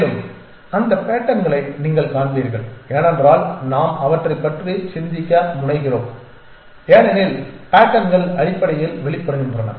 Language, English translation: Tamil, And you will find that patterns I mean because we tend to think of them is pattern emerge essentially